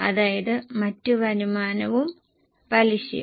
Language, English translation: Malayalam, That is other income and interest